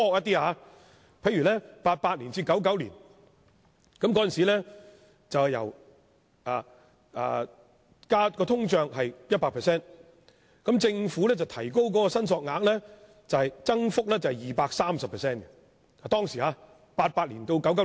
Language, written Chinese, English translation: Cantonese, 在1988年至1999年，當時的通脹是 100%， 政府把申索額幅加 230% 至5萬元。, The inflation rate from 1988 to 1999 was 100 % and the Government thus increased the claim limit by 230 % to 50,000